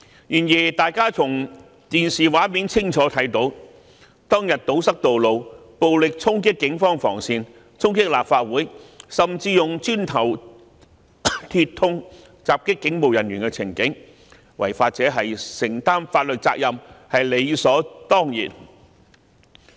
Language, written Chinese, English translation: Cantonese, 然而，大家從電視畫面清楚看到，當天堵塞道路、暴力衝擊警方防線、衝擊立法會，甚至用磚頭、鐵通襲擊警務人員的情景，違法者承擔法律責任是理所當然的。, However we clearly saw on television scenes of protesters blocking the roads violently charging the police cordon lines and the Complex and even attacking police officers with bricks and metal rods . It is reasonable for law - breakers to bear legal liabilities